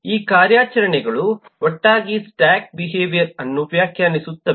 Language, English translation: Kannada, these operations together define the behavior of the stack